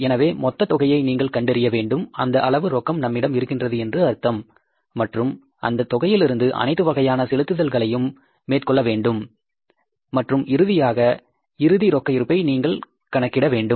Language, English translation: Tamil, So, some total you have to find out that this much cash is available with us and from that cash you have to make all the payments and then you have to find out the closing balance of the cash